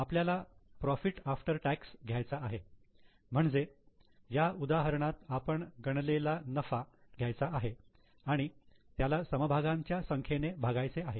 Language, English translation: Marathi, So, we have to take profit after tax, that is the profit as we have calculated here and divide it by number of shares